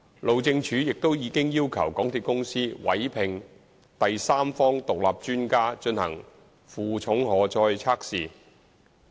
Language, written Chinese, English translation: Cantonese, 路政署亦已要求港鐵公司委聘第三方獨立專家進行負重荷載的測試。, HyD has already required MTRCL to employ an independent third - party expert to carry out load tests